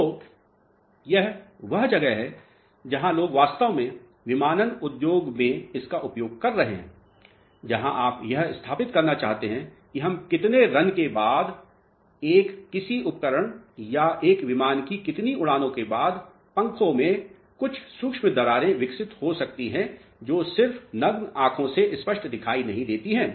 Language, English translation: Hindi, So, this is where actually people are utilizing this in aviation industry, where you want to establish after how many runs of let us say a certain equipment or say after how many flights of an aircraft some micro cracks may develop in the wings which are not visible just by naked eye clear